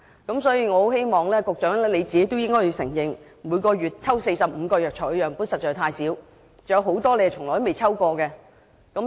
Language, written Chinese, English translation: Cantonese, 我很希望局長承認，每月抽取45個藥材樣本實在太少，還有多種藥材從未被抽驗。, I do hope the Secretary will admit that the population of 45 samples of herbal medicines collected per month is way too small indeed and there are many more which have never been tested